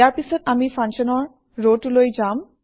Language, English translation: Assamese, Next, we will go to the Function row